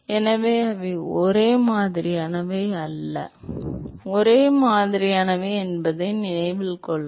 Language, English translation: Tamil, So, note that they are not same, it is only similar